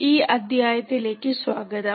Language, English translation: Malayalam, Welcome to this module